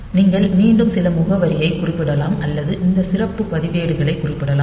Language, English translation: Tamil, So, you can again mention some address or you can mention these special registers